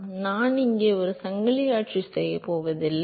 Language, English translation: Tamil, So, I am not going to do the chain rule here